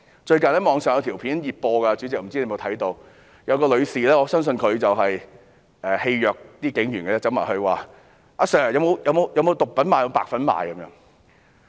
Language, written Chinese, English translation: Cantonese, 最近網上有一段熱播影片，不知道主席有否看過，有一名女士——我相信她是想戲謔警員——向警員詢問︰"阿 Sir， 有沒有毒品賣？, A video clip has gone viral on the Internet recently I wonder if the Chairman has watched it a woman―I believe she wanted to tease the police officers―asked the police officers Do you sell drugs sir?